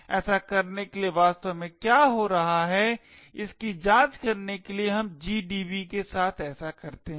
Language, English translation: Hindi, To so to investigate what is actually happening let us do so with gdb